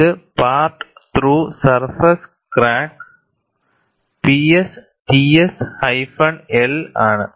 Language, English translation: Malayalam, And this is part through surface crack P S T S hyphen L